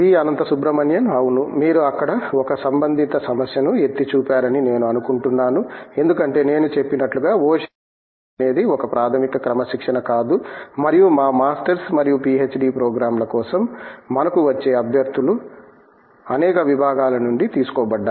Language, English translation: Telugu, Yeah, I think you have pointed out a relevant issue there, because as I have said ocean engineering is not a basic discipline by itself and candidates that we get for our Masters and PhD programs are drawn from many disciplines